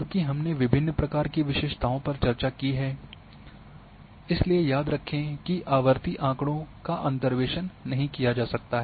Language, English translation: Hindi, Since we have discussed different types of attributes so remember that like for a cyclic data interpolation cannot be done